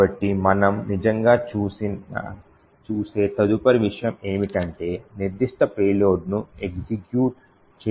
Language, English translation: Telugu, So, the next thing we will actually look at is to force up specific payload to execute